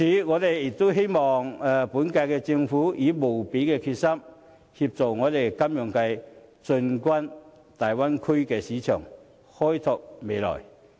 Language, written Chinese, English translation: Cantonese, 我希望本屆政府能以無比的決心，協助金融界進軍大灣區市場，開創未來。, I hope that the current - term Government will resolve to help the financial sector open up the market in the Bay Area to bring a bright future